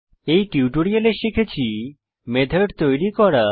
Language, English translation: Bengali, In this tutorial we will learn To create a method